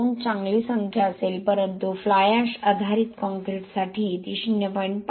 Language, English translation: Marathi, 2 would be a good number but for fly ash based concrete it could be a 0